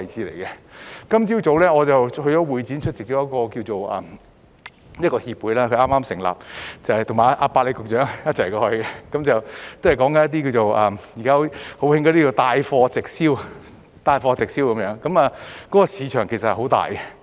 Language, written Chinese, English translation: Cantonese, 我今天早上到會展出席一個剛成立的協會的活動，"百里"局長也有出席，是關於現時很流行的帶貨直銷，這個市場其實很大。, I attended an event of a newly established association at the Hong Kong Convention and Exhibition Centre this morning and so did Under Secretary Pak - li . The event is about direct marketing which is now very popular and the market is really large